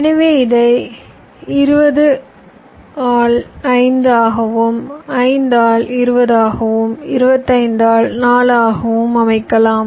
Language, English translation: Tamil, so i can lay it out like this: i can lay it out twenty by five, i can lay it out five by twenty